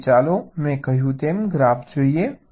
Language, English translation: Gujarati, now let us look at the graph, as i had said